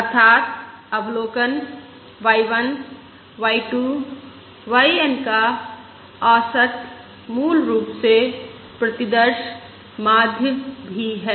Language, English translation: Hindi, y 1, y, 2, y N are also basically the sample mean